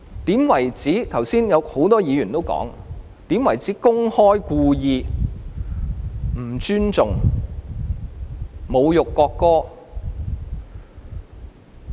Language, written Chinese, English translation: Cantonese, 很多議員剛才指出，怎樣才被視為公開或故意不尊重、侮辱國歌？, Many Members have pointed out earlier how people will be regarded as openly or deliberately disrespecting and insulting the national anthem